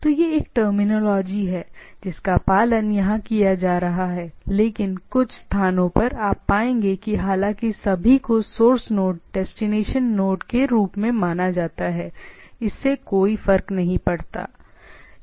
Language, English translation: Hindi, So, this is a terminology which are being followed here, but you in some places you will find that though all are considered as source node, destination node, it doesn’t matter